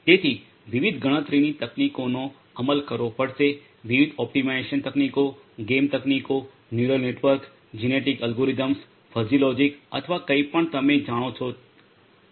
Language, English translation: Gujarati, So, different computational techniques will have to be implemented, different optimization techniques game theory, neural networks you know genetic algorithms, or you know fuzzy logic or anything you know